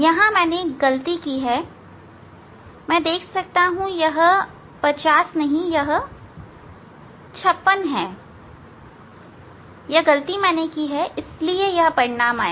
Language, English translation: Hindi, one mistake I have done here, I can see it is not 50, it is 56 that is the mistake I have done